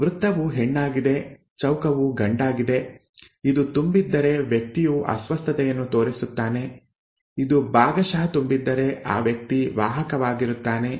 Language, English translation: Kannada, So circle is a female, square is a male, if it is filled than the person is showing the disorder, if it is partly filled then the person is a carrier, okay